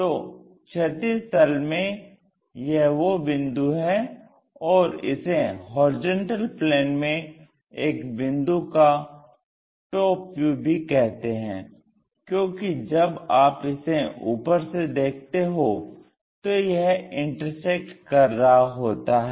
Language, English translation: Hindi, And this is a point on horizontal plane, and it is called TV of a point in HP also; top view of a point in horizontal plane, because it is intersecting when you are looking for